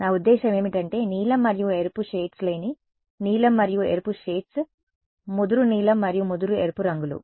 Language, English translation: Telugu, I mean that is the shades of blue and red shades of not blue and red shades of dark blue and dark red